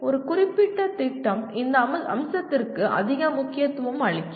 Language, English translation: Tamil, A particular program that means is emphasizing more on this aspect